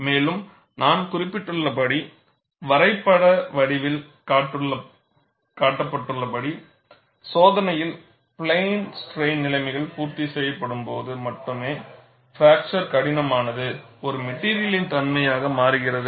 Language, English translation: Tamil, And, as I had mentioned and also shown in the form of graph, fracture toughness becomes a material property only when plane strain conditions are met in the experiment